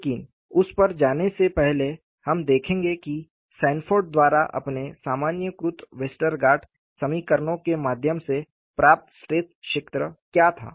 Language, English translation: Hindi, You will also go to that; but before going to that, we will look at what was the stress field obtained by Sanford through his generalized Westergaard equations